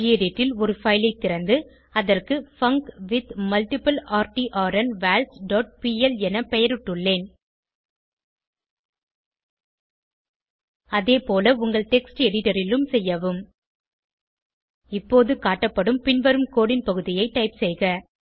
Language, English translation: Tamil, In gedit, I have opened a file and named it as funcWithMultipleRtrnVals dot pl Please do like wise in your text editor Now, type the following piece of code as shown